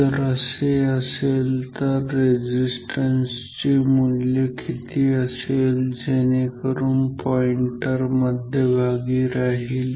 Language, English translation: Marathi, If so, then what will be the value of the resistance for which the pointer will be at the centre